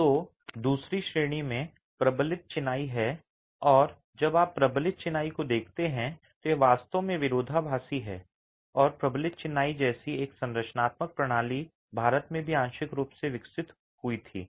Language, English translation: Hindi, So, the second category is reinforced masonry and when you look at reinforced masonry, it is actually paradoxical that structural system like reinforced masonry was developed partly in India as well